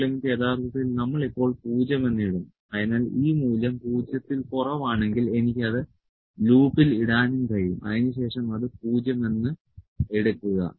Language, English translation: Malayalam, L would actually we put as 0 now, so I can even put the if loop here, you can even put the if loop that if this value is less than 0, then take it 0